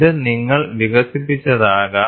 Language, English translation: Malayalam, This can be maybe what you have developed